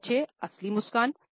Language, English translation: Hindi, Number 6, genuine smile